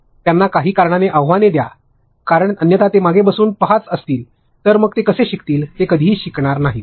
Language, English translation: Marathi, Give them certain challenges because otherwise how will they learn if they are going to just sit back and watch, they will never learn anything